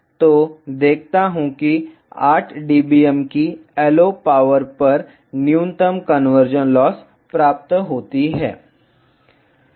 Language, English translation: Hindi, I see that the minimum conversion loss is obtained at a LO power of 8 dBm